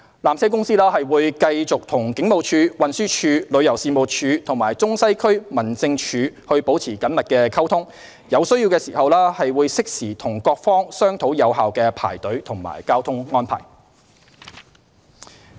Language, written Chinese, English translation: Cantonese, 纜車公司會繼續與警務處、運輸署、旅遊事務署和中西區民政處保持緊密溝通，有需要時會適時與各方商討有效的排隊及交通安排。, PTC will continue to maintain close communications with the Police the Transport Department the Tourism Commission and the Central and Western District Office . When necessary it will timely discuss effective queuing and traffic arrangements with the relevant parties